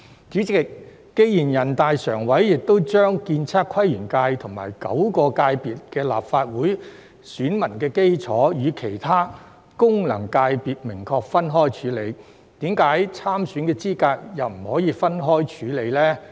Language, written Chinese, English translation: Cantonese, 主席，既然全國人民代表大會常務委員會亦已將建測規園界等9個界別的立法會選民基礎與其他功能界別明確分開處理，為何參選資格又不可以分開處理呢？, Chairman since NPCSC has clearly dealt with the electorate base of nine FCs including ASPL separately from other FCs why could the eligibility for candidature not be dealt with separately?